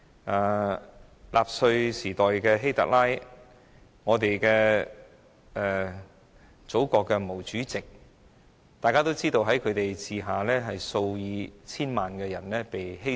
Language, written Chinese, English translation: Cantonese, 例如納粹時代的希特拉、祖國的毛主席，在他們的管治下，數以千萬計的人的性命被犧牲。, Under the rule of HITLER in the Nazi era or Chairman MAO of our country tens of millions of lives were lost